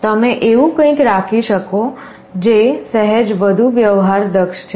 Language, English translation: Gujarati, You can have something that is slightly more sophisticated